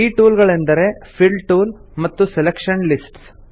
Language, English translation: Kannada, These tools are namely, Fill tool, Selection lists